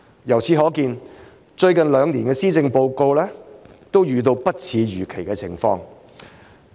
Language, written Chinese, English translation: Cantonese, 由此可見，最近兩年的施政報告都遇到不似預期的情況。, It is hence evident that the policy addresses of the last two years have both encountered unexpected circumstances